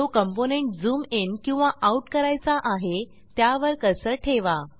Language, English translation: Marathi, Keep Cursor on Component which you want to zoom in and zoom out